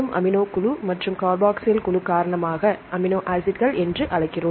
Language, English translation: Tamil, So, because of the amino group and the carboxyl group we call the amino acids